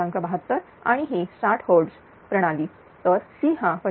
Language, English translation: Marathi, 72 and it is 60 hours system, so C will become 25